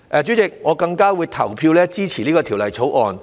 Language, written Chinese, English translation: Cantonese, 主席，我更加會投票支持《條例草案》。, President I will also vote in favour of the Bill